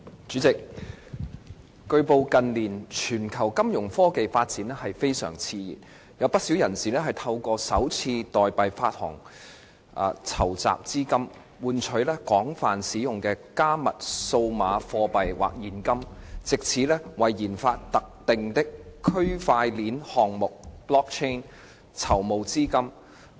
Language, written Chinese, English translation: Cantonese, 主席，據報，近年全球金融科技發展非常熾熱，有不少人士透過首次代幣發行籌集資金，換取廣泛使用的加密數碼貨幣或現金，藉此為研發特定的區塊鏈項目籌募資金。, President it has been reported that the development of financial technology has been feverish in recent years globally . Quite a number of people raise funds through initial coin offering to exchange for a widely used cryptocurrency or cash in order to raise money to fund the research and development of a particular blockchain - related project